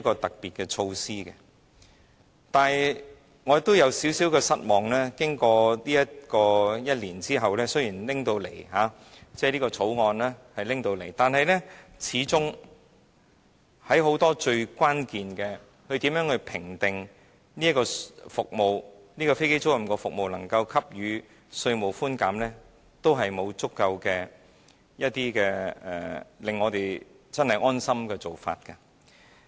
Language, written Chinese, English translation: Cantonese, 但是，我頗感失望，經歷1年時間後，雖然《條例草案》提交了立法會，但始終在很多關鍵事情上，例如如何評定某飛機租賃服務提供者能否獲得稅務寬減，並沒有足夠的、令大家感到安心的做法。, However I am very disappointed . One year has passed and the Bill has been submitted to the Legislative Council but we still cannot see any adequate and assuring arrangements for many key issues such as how to assess the eligibility of an aircraft leasing service provider to tax concession